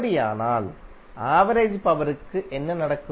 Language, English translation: Tamil, In that case what will happen to average power